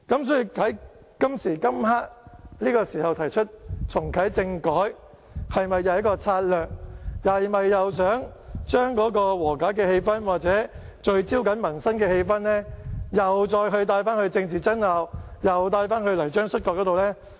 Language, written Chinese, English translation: Cantonese, 所以，在這個時候提出重啟政改，是否一項策略，是否想將和解氣氛或聚焦民生的氣氛再帶到政治爭拗，又帶到泥漿摔角呢？, Therefore is it a strategy to propose reactivating constitutional reform again during this time? . Do they want to bring the atmosphere seeking for reconciliation and focusing on peoples livelihood back to political bickering and mud wrestling again?